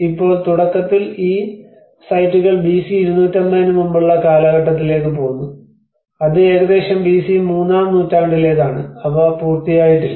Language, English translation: Malayalam, Now, initially these sites goes back to almost pre 250 BC which is almost to the 3rd century BC as well and they are not done